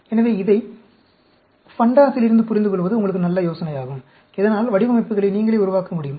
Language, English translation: Tamil, So, it is a good idea for you to understand it from fundas, so that, you can yourself generate the designs